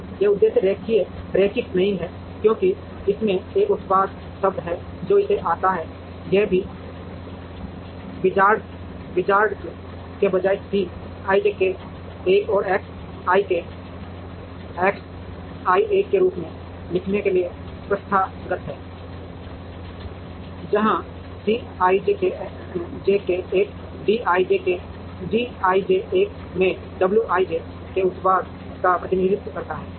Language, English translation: Hindi, So, this objective is not linear because it has a product term that comes it, it is also customary to write this instead of w i j d k l as C i j k l X i k X j l, where C i j k l represents the product of w i j into d k l